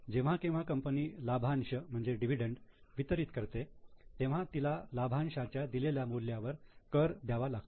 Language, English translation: Marathi, Whenever company pays any dividend, they have to pay tax on the amount of dividend paid